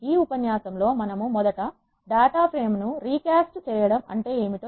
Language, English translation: Telugu, In this lecture we are going to first define, what is recasting of a data frame mean,